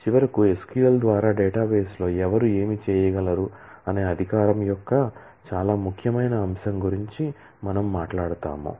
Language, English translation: Telugu, And finally, we will talk about a very important aspect of authorisation as to who can do what in a database in through SQL